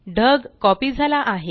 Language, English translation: Marathi, The cloud has been copied